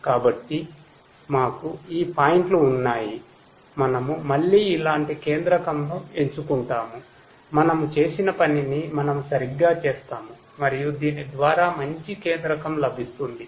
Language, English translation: Telugu, So, we had these points, we again choose a centroid like this; we do exactly the same thing that we have done and we get a better centroid through this